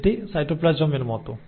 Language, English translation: Bengali, So this is like in the cytoplasm